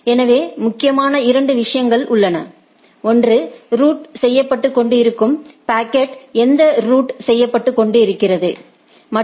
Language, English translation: Tamil, So, there are two things which is important: one is that what is being routed right, the packet which is being routed